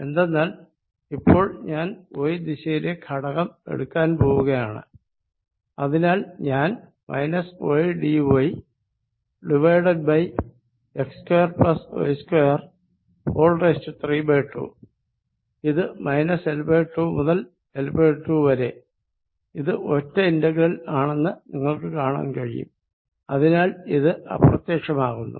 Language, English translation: Malayalam, Because, now I will be taking a component in the y direction, so I will have minus y d y over x square plus y square raise to 3 by 2 and this is going to be from minus L by 2 to L by 2, you can see this is an odd integral in y and therefore, this thing vanishes